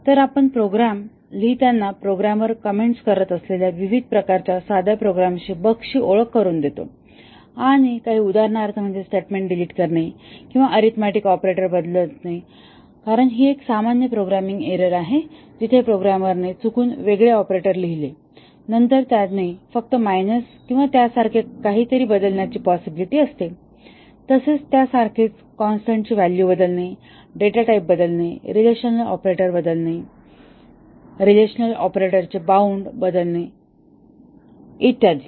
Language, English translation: Marathi, So, we introduce various types of simple programming bugs that a programmer commits while writing a program and some examples are deleting a statement, altering an arithmetic operator because these also a typical programming error where the programmer by mistake wrote a different operator, then he intended possibly he just interchanged a plus with minus or something like that, changing the value of a constant, changing a data type, changing a relational operator, changing the bound of a relational operator and so on